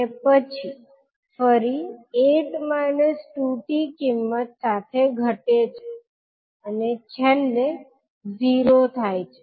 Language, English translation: Gujarati, And then again decreasing with value eight minus two t and then finally zero